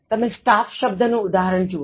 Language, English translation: Gujarati, Look at for example the word staff